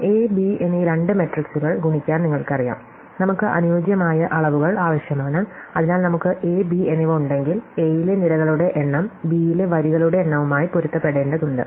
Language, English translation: Malayalam, So, as you probably know to multiply two matrices A and B, we need compatible dimensions, so if we have A and B, then we need that the number of columns in A must match the number of rows in B